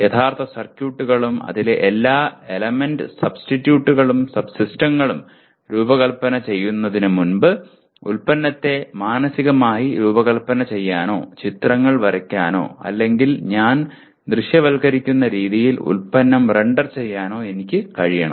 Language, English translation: Malayalam, Before I design the actual circuits and all the element subsystems of that, I must be able to structure the product mentally or draw pictures or render the product the way I am visualizing